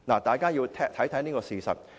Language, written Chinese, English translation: Cantonese, 大家要看清楚一個事實。, Members should realize a fact